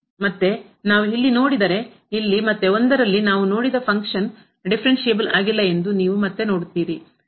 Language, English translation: Kannada, And if we take a look here at this floor, then you again see that at 1 here the function is not differentiable which we have just seen